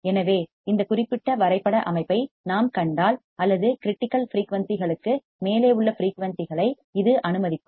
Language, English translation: Tamil, So, if you see this particular plot what we find is that it will allow or it will allow frequencies which are above critical frequencies